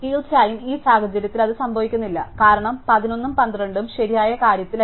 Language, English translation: Malayalam, And of course, in this case it does not because 11 and 12 are not in the correct thing